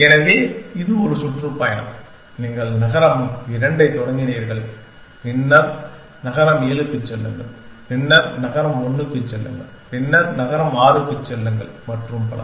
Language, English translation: Tamil, So, this is a tour says that, you started cities 2 then, go to city 7, then go to city 1 then, go to city 6 and so on essentially